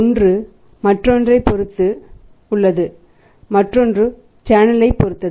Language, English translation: Tamil, One is depending upon the other and other is depending upon the other is depending upon the channel